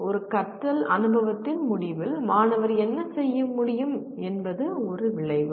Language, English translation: Tamil, An outcome is what the student is able to do at the end of a learning experience